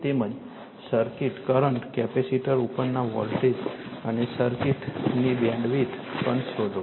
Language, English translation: Gujarati, Also find the circuit current, the voltage across the capacitor and the bandwidth of the circuit right